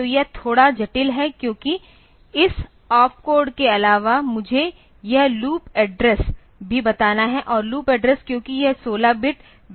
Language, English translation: Hindi, So, this is a bit complex because apart from this op code I have to tell this loop address also and loop address since this is a 16 bit value